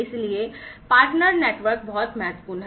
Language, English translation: Hindi, So, partner network is very important